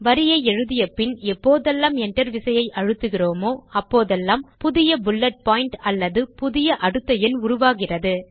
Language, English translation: Tamil, Whenever you press the Enter key after typing a statement, you will see that a new bullet point or a new incremental number is created